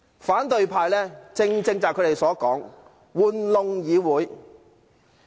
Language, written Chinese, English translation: Cantonese, 反對派正正是他們自己說的"玩弄議會"。, Opposition Members are exactly the ones manipulating the Legislative Council